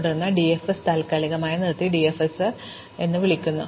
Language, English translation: Malayalam, And then we suspend this DFS and call that DFS